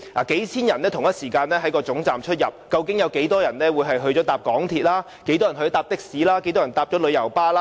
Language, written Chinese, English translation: Cantonese, 數千人同時出入高鐵車站，究竟有多少人會乘搭港鐵、的士或旅遊巴？, Among the thousands of people entering and leaving the Station at the same time how many will take the MTR taxi or coach?